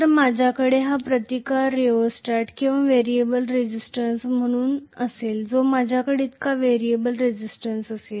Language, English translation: Marathi, So I will have here this resistance as a rheostat or the variable resistance that I am going to have so variable resistance that I have,right